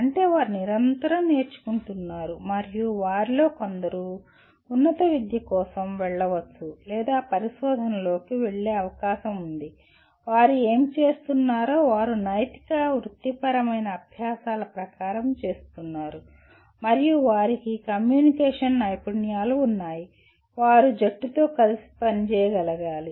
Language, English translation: Telugu, That means they are continuously learning and some of them are likely to go for higher education or go into research as well and whatever they are doing they are doing as per ethical professional practices and they do have communication skills and they are team players